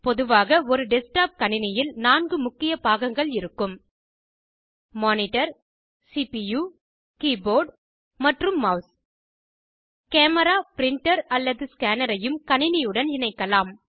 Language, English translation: Tamil, Generally, a desktop computer has 4 main components Monitor CPU Keyboard and Mouse A camera, printer or scanner can also be connected to a computer